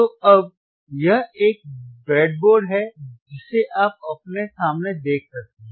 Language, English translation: Hindi, So, now, this is a breadboard that you can see in front of you right